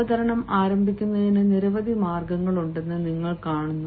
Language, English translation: Malayalam, you see, there are several ways to begin a presentation